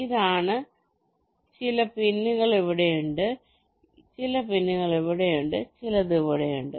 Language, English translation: Malayalam, this is: some pins are here, some pins are here and some pins are also here